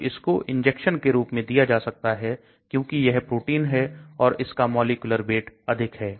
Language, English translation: Hindi, So it is given as injection, so because it is a protein, large molecular weight